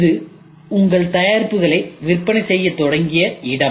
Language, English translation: Tamil, So, this is where you have started making sale of your product